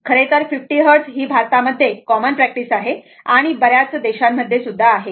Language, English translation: Marathi, Our thing actually 50 Hertz is commonly practice in India your most of the countries